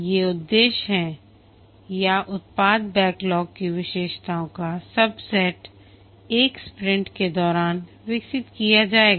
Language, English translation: Hindi, These are the objectives or the subset of features of the product backlog will be developed during one sprint